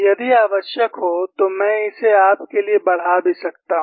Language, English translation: Hindi, If necessary, I could also enlarge it for you